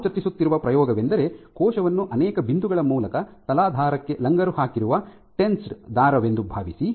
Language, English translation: Kannada, So, imagine the cell as a tensed string which is anchored to the substrate via multiple points